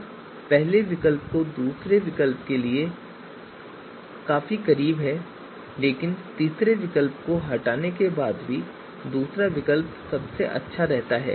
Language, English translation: Hindi, Now the first alternative score of first alternative is quite close to what we have for the second alternative, but still second alternative remains best even after removing you know third alternative